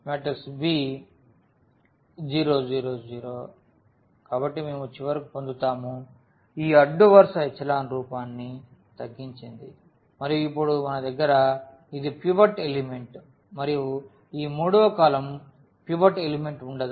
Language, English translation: Telugu, So, we will get finally, this row reduced echelon form and where now we have this is the pivot element and this is the pivot element and this third column will not have a pivot element